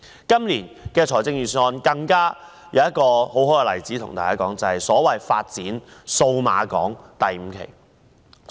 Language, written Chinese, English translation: Cantonese, 今年的預算案還有一個很好的例子，就是發展數碼港第五期。, There is another very good example in this years Budget and that is the development of Cyberport 5